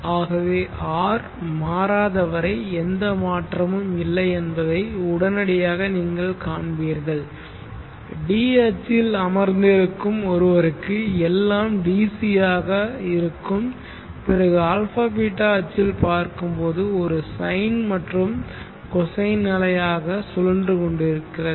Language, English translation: Tamil, So instant by instant you will see that there is no change as long as R does not change and you will for some1 sitting on the D axis everything is seen as DC once the person jumps back onto the a beeta axis this is rotating and then for everything will be seen as a sine and a cosine wave